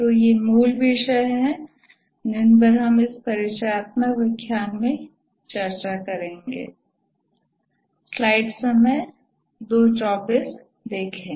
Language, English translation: Hindi, So, these are the basic topics we will discuss in this introductory lecture